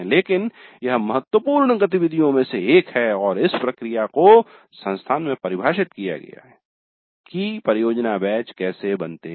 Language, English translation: Hindi, But it is one of the important activities and a process is defined in the institute on how the project batches are formed